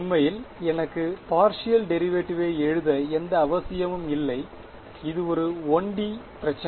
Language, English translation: Tamil, In fact, this is there is no need for me to write partial derivates it is 1 D problem